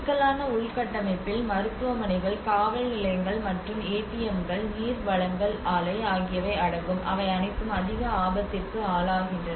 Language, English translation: Tamil, Critical infrastructure includes hospitals, police stations, and ATMs, water supply and they are all subjected to the high risk